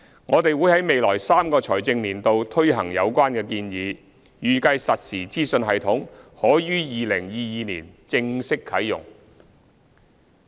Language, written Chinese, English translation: Cantonese, 我們會在未來3個財政年度推行有關建議，預計實時資訊系統可於2022年正式啟用。, We will implement the proposal in the coming three financial years and it is expected that the real - time information system will be launched officially in 2022